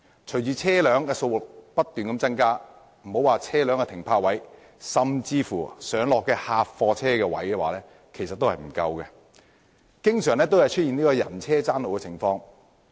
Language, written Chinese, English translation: Cantonese, 隨着車輛數目不斷增加，莫說是車輛停泊位，其實客貨車的上落位置也不足夠，經常出現人車爭路的情況。, With the continual growth in the number of vehicles there is actually a shortfall of loadingunloading bays for light goods vehicles let alone car parking spaces . Conflicts between pedestrians and vehicles are a common sight